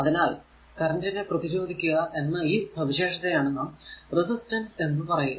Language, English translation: Malayalam, So, the physical property or ability to resist current is known as resistance